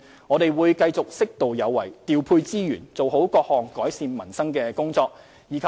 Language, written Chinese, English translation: Cantonese, 我們會繼續適度有為，調配資源，做好各項改善民生的工作。, We will continue to be appropriately proactive in deploying resources and properly undertake various tasks to improve peoples livelihood